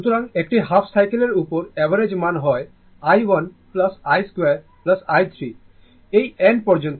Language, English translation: Bengali, So, average value over a half cycle that is why it is written over a half cycle it is i 1 plus i 2 plus i 3 up to this one by n